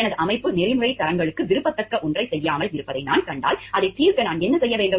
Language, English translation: Tamil, When I see my organization is not doing something, which is as desirable for ethical standards then what should I do in doing in solve